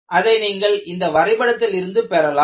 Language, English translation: Tamil, That you get from a graph like this